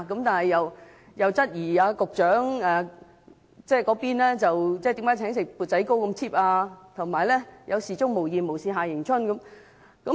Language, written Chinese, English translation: Cantonese, 但她質疑局長只是請吃"砵仔糕"那麼失禮，給人"有事鍾無艷，無事夏迎春"的感覺。, But she thought that the Secretary was too stingy in treating members of the Bills Committee to bowl puddings only thus giving members the impression that the Secretary prays no more once on shore